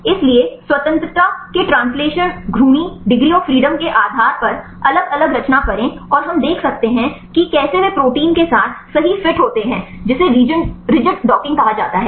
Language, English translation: Hindi, So, make the different conformation based on the translational rotational degrees of freedom right and we can see how they fit right with the protein that is called rigid docking